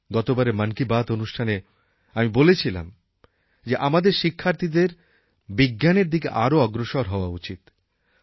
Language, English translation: Bengali, In the previous episode of Mann Ki Baat I had expressed the view that our students should be drawn towards science